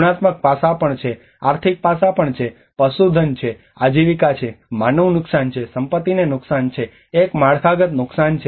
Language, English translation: Gujarati, There is also the qualitative aspects, there is also the financial aspect, there is a livestock, there is livelihood, there is human loss, there is a property damage, there is a infrastructural damage